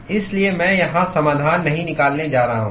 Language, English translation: Hindi, So, I am not going to derive the solution here